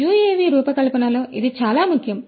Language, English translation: Telugu, So, this is very important in the design of a UAV